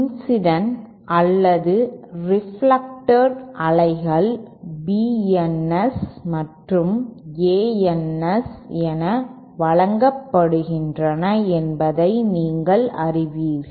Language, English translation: Tamil, So then you know we can see we the input and output the incident or reflected waves are given as B Ns and A Ns